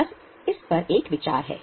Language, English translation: Hindi, Just have a thought on this